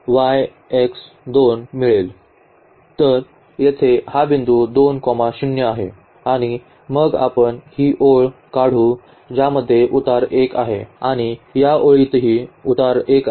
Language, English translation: Marathi, So, this is the point 2 0 here and then we can draw this line which has slope 1 and this line also has slope 1